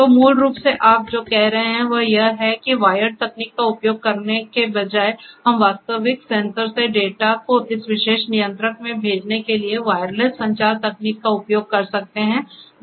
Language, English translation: Hindi, So, basically what you are saying is that instead of using the wired technology, we could use wireless communication technology in order to send the data from the real sensors to this particular controller